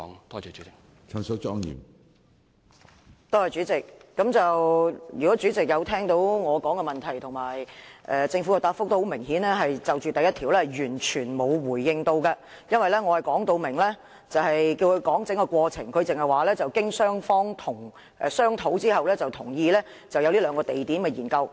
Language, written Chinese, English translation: Cantonese, 主席，若有聆聽我的提問及政府就主體質詢第一部分所作的答覆，當可知道局長顯然是完全沒有作出回應，因為我說明要求就整個過程作出解釋，但他只是指出雙方經商討後同意就這兩個地點進行研究。, President anyone who has listened to my question and the Governments reply on part 1 of the main question will realize that the Secretary has obviously and completely failed to answer my question since I ask for a disclosure of the entire process but he only points out that both sides agreed after discussions that studies would be undertaken on the two sites